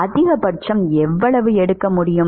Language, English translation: Tamil, What is the maximum that it can take